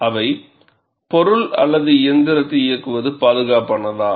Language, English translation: Tamil, They are Is it safe to operate the component or machine